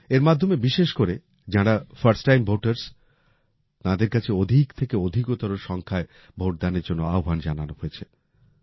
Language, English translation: Bengali, Through this, first time voters have been especially requested to vote in maximum numbers